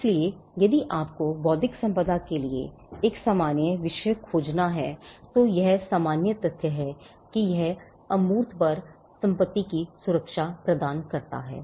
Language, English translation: Hindi, So, the common theme if you have to find a common theme for intellectual property is the fact that it confers property protection on intangibles